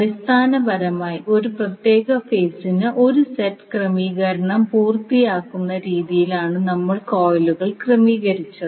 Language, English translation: Malayalam, So, basically we arranged the coils in such a way that it completes 1 set of arrangement for 1 particular phase